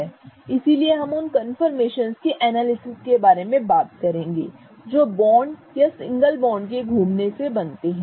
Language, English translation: Hindi, So, we will go over conformational analysis which talks about these confirmations that arise as the bonds or single bonds rotate around each other